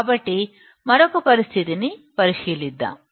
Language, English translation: Telugu, So, let us consider another condition